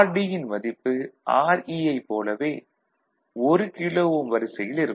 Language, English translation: Tamil, And rd is of the order of 1 kilo ohm similar to this